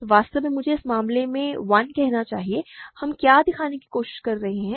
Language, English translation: Hindi, So, actually I should call this case 1 by the way, what are we trying to show